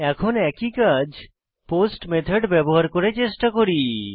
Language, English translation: Bengali, Now, let us try to do the same using POST Method